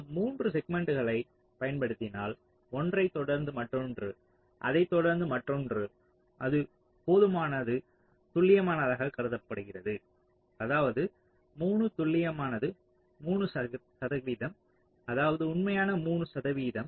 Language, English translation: Tamil, ok, so if you use three segments, one followed by another, followed by other, that is seen to be accurate enough, which is means three accurate to three percent, that is, three percent of the actual